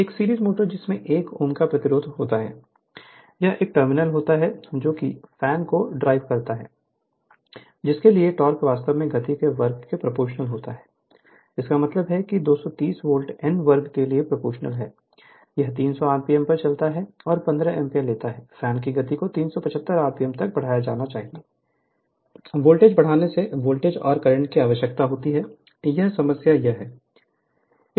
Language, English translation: Hindi, So, a series motor having a resistance of 1 Ohm between it is terminal drives a fan for which the torque actually is proportional to the square of the speed; that means, T proportional to n square right at 230 volt, it runs at 300 rpm and takes 15 ampere, the speed of the fan is to be raised to 375 rpm sorry, by increasing the voltage, find the voltage and the current required, this is the problem right